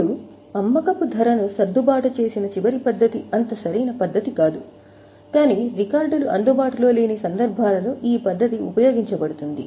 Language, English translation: Telugu, Now the last method that is adjusted selling price is not very suitable method but if the records are not available in such cases this method is used